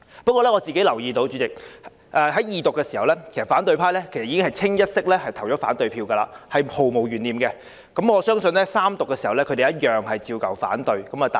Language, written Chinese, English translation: Cantonese, 不過，主席，我留意到在《條例草案》二讀時，反對派已一致投下反對票，這是毫無懸念的，我相信在《條例草案》三讀時，他們一樣會反對。, However Chairman I notice that during the Second Reading of the Bill the opposition cast a negative vote unanimously and undoubtedly . I believe that they will cast another negative vote during the Third Reading of the Bill